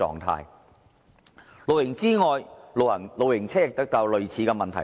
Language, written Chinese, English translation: Cantonese, 除露營之外，露營車也遇到類似問題。, Apart from camping caravans also face similar problems